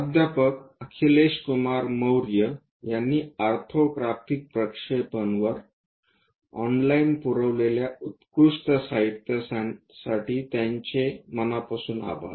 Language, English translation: Marathi, Our sincere thanks to professor Akhilesh Kumar Maurya for his excellent materials provided on online on Orthographic Projections